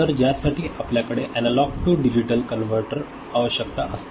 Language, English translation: Marathi, So, for which we need to have a something called Analog to Digital Converter